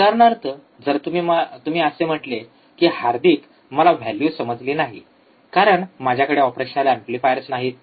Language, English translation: Marathi, For example, you say that, Hardik, I cannot I cannot get the values, because I do not have the operational amplifiers